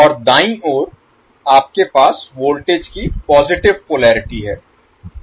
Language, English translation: Hindi, And at the right side you have positive polarity of the voltage